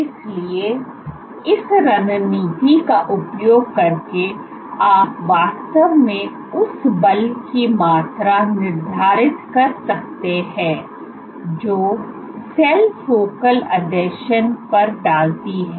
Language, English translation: Hindi, So, using this strategy you can actually quantify the force that the cell is exerting at the focal adhesion